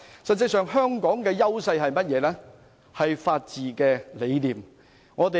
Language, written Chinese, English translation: Cantonese, 實際上，香港的優勢是法治理念。, In fact Hong Kongs strength lies in the rule of law